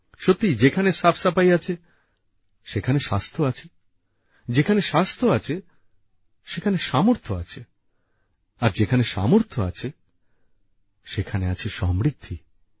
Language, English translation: Bengali, Indeed, where there is cleanliness, there is health, where there is health, there is capability, and where there is capability, there is prosperity